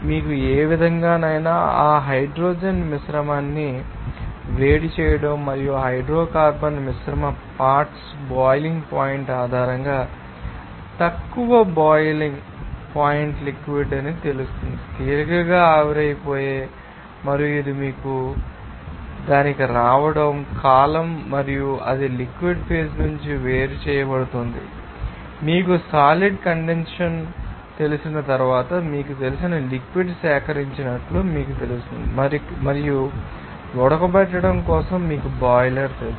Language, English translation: Telugu, Because any way you have to you know heat up that hydrocarbon mixture and based on the boiling point of that hydrocarbon mixture components, you know that lower boiling point liquidity will be you know, vaporized easily and it will be you know, coming off to that column and it will be separated from that liquid phase and then it will be you know collected as a you know liquid after you know condensed session and for boiling off you need some you know boiler